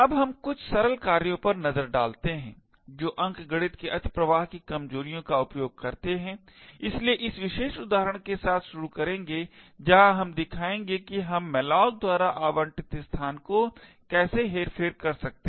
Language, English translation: Hindi, Now let us look at some simple exploits which make use of the arithmetic overflow vulnerabilities, so will start with this particular example where we will show how we could manipulate the space allocated by malloc